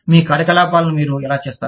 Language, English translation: Telugu, How do you carry out, your operations